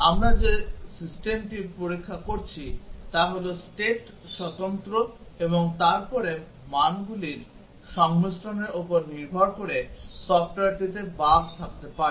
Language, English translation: Bengali, The system that we are testing is state independent and then depending on the combinations of the values there can be bugs in the software